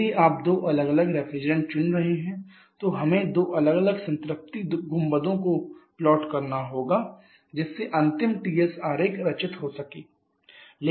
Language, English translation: Hindi, If you are choosing two different refrigerants then the we have to plot two different saturation domes to have the final TS diagram